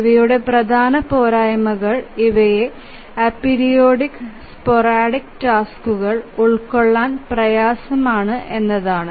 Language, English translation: Malayalam, The important shortcomings of these are that these are difficult to accommodate a periodic and sporadic tasks